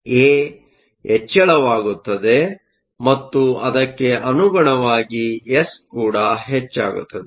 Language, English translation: Kannada, So, a increases and correspondingly S will also increase